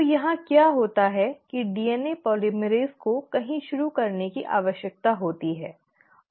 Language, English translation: Hindi, So what happens here is all that DNA polymerase needs is somewhere to start